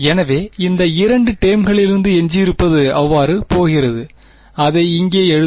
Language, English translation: Tamil, So, from these two terms what survives is going to so, let us write it down over here